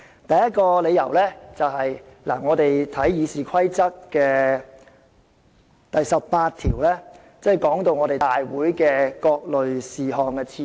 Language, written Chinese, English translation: Cantonese, 第一個理由是關乎《議事規則》第18條的，該條訂明立法會會議各類事項的次序。, The first reason is related to RoP 18 . This Rule stipulates the order of business at a Council meeting